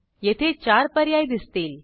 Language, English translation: Marathi, We can see 4 options here